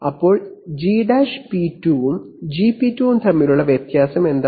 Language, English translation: Malayalam, So what is the difference between G’p2 and Gp2